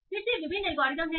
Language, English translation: Hindi, So, again, there are various algorithms